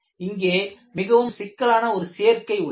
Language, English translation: Tamil, We have a very complicated combination here